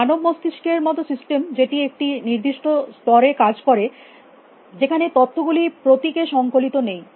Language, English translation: Bengali, Systems like human brain, which operate settle level where information is not and coded into symbol